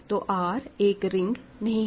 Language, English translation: Hindi, So, R is not a ring